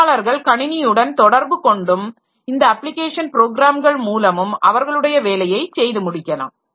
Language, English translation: Tamil, And users will be interacting with these system and application programs for getting their job done